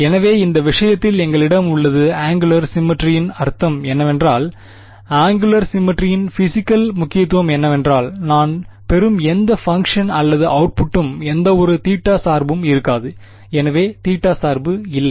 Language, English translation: Tamil, So, in this case, we have angular symmetry which means that the what is the physical significance of angular symmetry is that whatever function or output I get will not have any theta dependence right; so no theta dependence